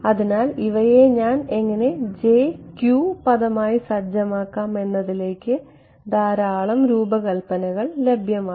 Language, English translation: Malayalam, So, lot of the design goes into how do I set this people as j q term ok